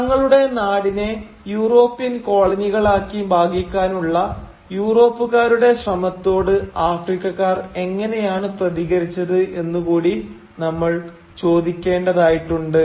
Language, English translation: Malayalam, We also have to ask how did the Africans react to this European attempt to divide up their lands into European colonies